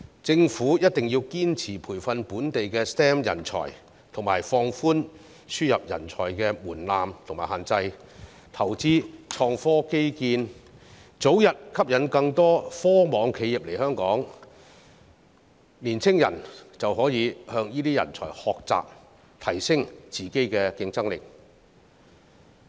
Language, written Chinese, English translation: Cantonese, 政府一定要堅持培訓本地的 STEM 人才，放寬輸入人才的門檻和限制，投資創科基建，早日吸引更多科網企業來港，青年人就可以向這些人才學習，提升自己的競爭力。, The Government must persist in training local STEM talents relax the threshold for and restrictions on importing talents invest in innovation and technology infrastructure and attract more dot - com companies to Hong Kong as early as possible so that young people can learn from these talents and enhance their own competitiveness